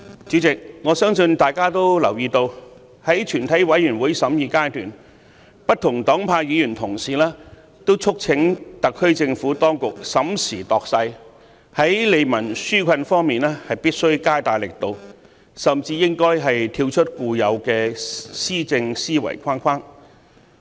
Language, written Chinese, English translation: Cantonese, 主席，我相信大家都留意到，在全體委員會審議階段，不同黨派議員同事都促請特區政府當局審時度勢，在利民紓困方面必須加大力度，甚至應該跳出固有的施政思維框框。, President I believe we have noticed that during the Committee stage Honourable colleagues of different political parties and affiliations urged the SAR Government to enhance its relief efforts in response to the current situation and think out of the box in its administration